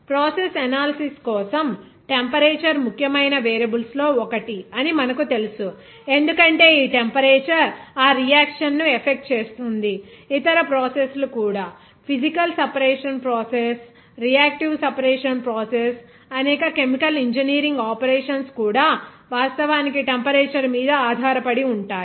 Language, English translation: Telugu, You know that for the process analysis, temperature is one of the important variables because this temperature of course will influence that reaction, even other processes, even physical separation process, reactive separation process, even many chemical engineering operations, those are actually depending on the temperature